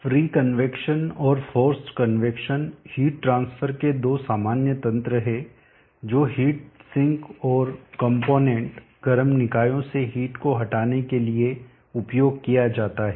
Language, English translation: Hindi, Free convection and force convection are two of the common mechanisms of heat transfer that is used for removing heat from heat sinks and components, hot bodies